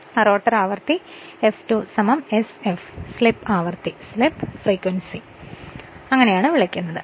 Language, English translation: Malayalam, The rotor frequency F2 is equal to sf is called the slip frequency